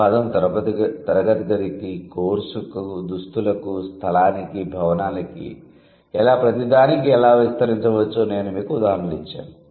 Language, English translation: Telugu, And I just gave you the examples, how it can extend to a classroom, to a course, to a dress, to a place, to a building, to literally everything